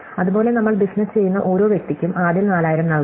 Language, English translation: Malayalam, Similarly, for each person that we business we have to pay 4000 first that